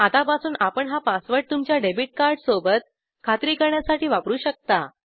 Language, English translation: Marathi, From now on you will use this password with your debit card to confirm it, let me submit